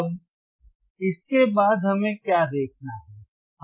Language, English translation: Hindi, Now, after this, what we have to see